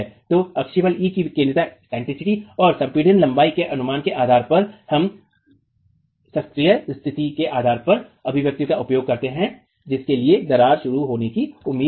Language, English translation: Hindi, So based on the eccentricity of the axial force E and the estimate of the compressed length we use the expressions based on the classical condition for which cracking is expected to begin